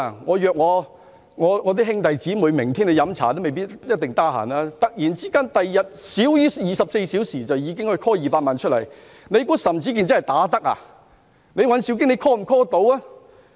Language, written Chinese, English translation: Cantonese, 我約兄弟姊妹明天喝茶，他們也未必一定有空，在少於24小時內便可以突然召喚200萬人明天上街遊行嗎？, If I ask my brothers and sisters for a tea gathering the next day they may possibly not be available . How could 2 million people be instantly mobilized to take to the streets in less than 24 hours?